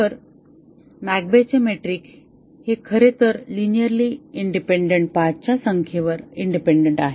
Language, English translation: Marathi, So, the McCabe’s metric is actually is a bound on the number of linearly independent paths